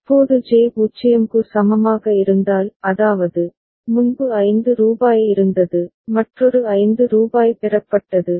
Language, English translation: Tamil, Now if J is equal to 0; that means, earlier there was rupees 5 and another rupees 5 has been received